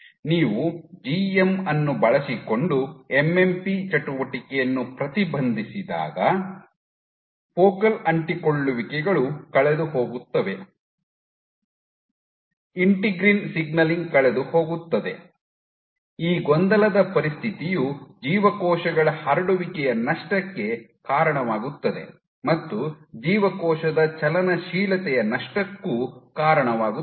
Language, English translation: Kannada, When you inhibit MMP activity using GM focal adhesions are gone, integrin signaling is gone, integrin signaling is also gone this perturbed loss of cells spreading also loss of cell motility